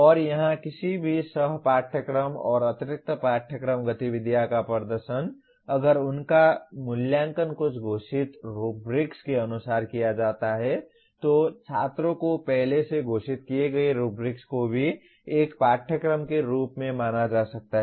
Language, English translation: Hindi, And here performance of any co curricular and extra curricular activities if they are evaluated as per some declared rubrics, rubrics declared in advance to the students can also be treated as a course